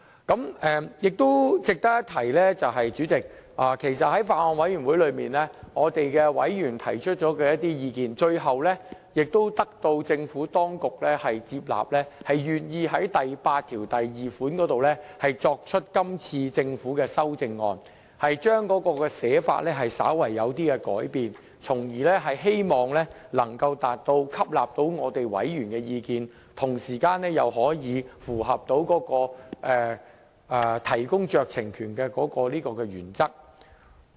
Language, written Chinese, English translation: Cantonese, 主席，值得一提的是，在法案委員會的委員曾提出了一些意見，最後政府當局接納了，願意就第82條提出今次政府的修正案，將原本的寫法稍為改變，從而希望能做到既吸納委員的意見，同時又可以符合提供酌情權的原則。, President it is worth noting that the Administration has accepted some views given by Bills Committee members and proposed a CSA to clause 82 . The drafting of the original clause was slightly revised to take members views on board and meet the principle of the vesting of the discretionary power